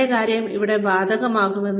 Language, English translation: Malayalam, The same thing will apply here